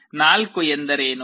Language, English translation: Kannada, So, what is 4